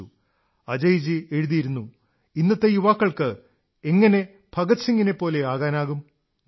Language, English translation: Malayalam, Ajay ji writes How can today's youth strive to be like Bhagat Singh